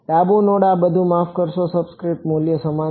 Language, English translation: Gujarati, Left node and this is all equal to sorry the subscript value